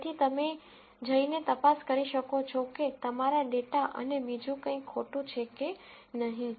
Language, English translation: Gujarati, So, you might want to go and check whether there is anything wrong with your data and so on